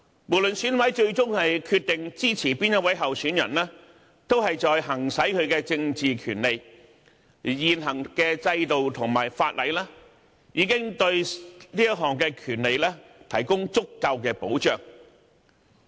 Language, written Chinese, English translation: Cantonese, 無論選委最終決定支持哪一位候選人，都是在行使其政治權利，而現行制度和法例已對這項權利提供足夠的保障。, No matter which candidate an EC member decides to support ultimately he is exercising his political right and such a right is sufficiently secured under the current system and legislation